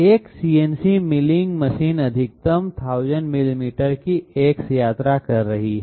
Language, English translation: Hindi, A CNC milling machine is having maximum X travel to be 100 millimeters